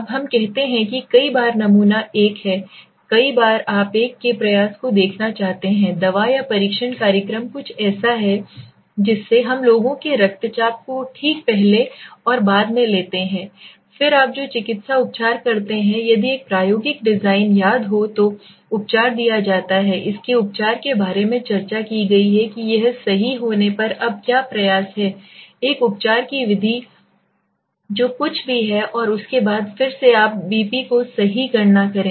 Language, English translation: Hindi, Now let us say many times the sample group is 1 many a times you want to see the effort of a medicine or training program something so we take the peoples blood pressure right before and then the medicine treatment you say the treatment is given if you remember experimental design discussed about it treatment given so what is the effort now right so when you do this right method a treatment whatever it is and then after that again you calculate BP right